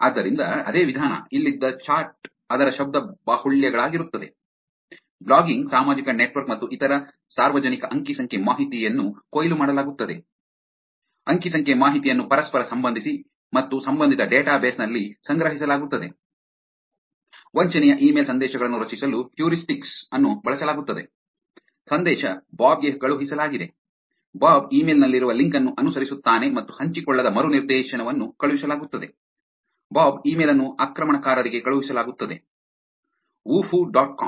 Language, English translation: Kannada, So, the same methodology, the chart that was there here is the verbose of it, blogging social network and other public data is harvested, data is correlated and stored in a relational database, heuristics are used to craft the spoofed email messages, message is sent to Bob, Bob follows the link contained within the email and is sent an unshared redirect, bob is sent to an attacker whuffo dot com